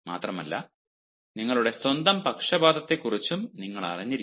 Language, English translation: Malayalam, moreover, you should also be aware of your own biases